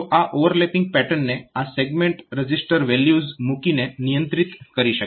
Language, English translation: Gujarati, So, this overlapping pattern can be controlled by putting this segment register values